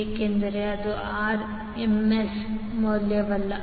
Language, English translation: Kannada, Because, this is not the RMS value